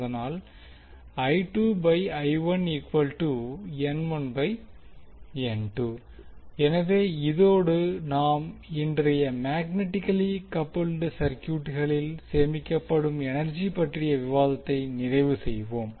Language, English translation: Tamil, So this we can close our today’s discussion in which we discussed about the energy stored in magnetically coupled circuits